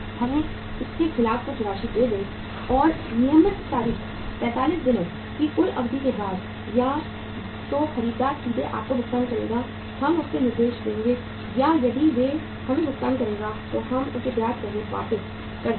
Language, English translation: Hindi, Give us some amount against this and on the due date after 45 days total period either the buyer will directly make the payment to you, we will instruct him or if he will make the payment to us we will return it back to you with interest